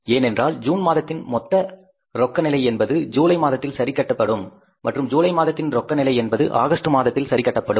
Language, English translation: Tamil, Which will finally go to the balance sheet because the total cash position in the month of June that we will adjust in the month of July and in the month of July that will adjust in the month of August